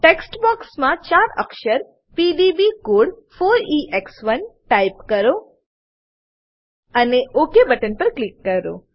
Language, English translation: Gujarati, Type the 4 letter PDB code 4EX1 in the text box and click on OK button